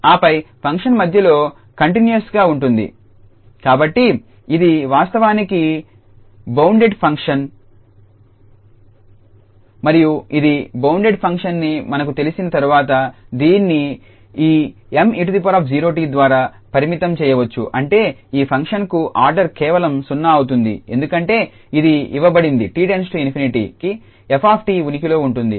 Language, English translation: Telugu, And then the function is continuous in between, so it is actually a bounded function and once we know that it is a bounded function, it can be bounded by this Me power 0 t that means the order will be just 0 for this function because it is given that the limit e tends to infinity f t exists